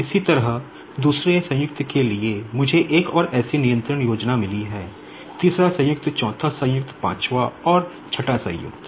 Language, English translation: Hindi, Similarly, for the second joint, I have got another such control scheme, third joint, fourth joint, fifth and sixth joint